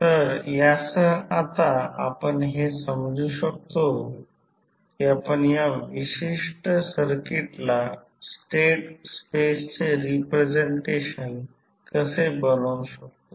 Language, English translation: Marathi, So with this you can now understand that how you can convert this particular the circuit into a state space representation